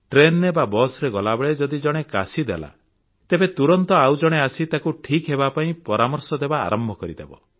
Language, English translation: Odia, While travelling in the train or the bus if someone coughs, the next person immediately advises a cure